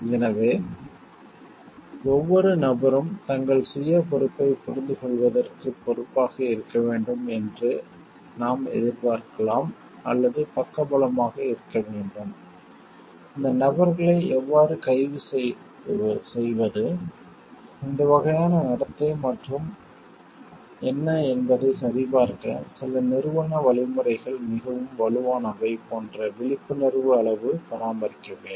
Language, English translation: Tamil, So, like can we expect every people to be responsible to understand their self responsibility or we need to have side by side also, some institutional mechanism very strong to understand how to arrest for these people check on this type of behavior and what are the degree of like vigilance to be maintained